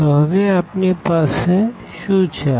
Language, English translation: Gujarati, So, now what we have